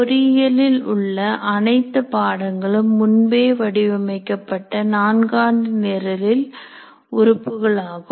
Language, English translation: Tamil, Then all courses in engineering programs are elements of a pre designed four year program